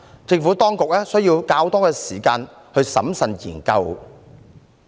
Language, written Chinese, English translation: Cantonese, 政府當局需要較多時間審慎研究。, Thus the Administration needed more time to study these recommendations carefully